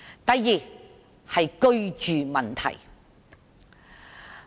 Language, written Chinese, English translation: Cantonese, 第二，是居住問題。, The second problem is housing